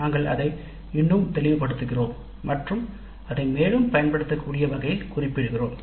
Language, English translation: Tamil, We make it more clear, we make it unambiguous and we state it in a way in which we can use it further